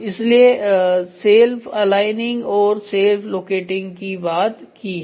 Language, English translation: Hindi, So, self aligning and self locating we have given